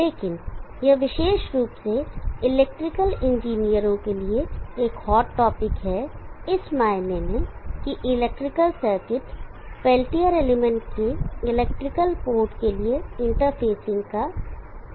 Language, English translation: Hindi, But it is a hard topic especially for electrical engineers in the sense that there is this aspect of electrical circuits interfacing to the electrical port of the peltier element